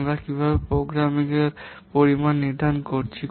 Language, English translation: Bengali, How we are defining program volume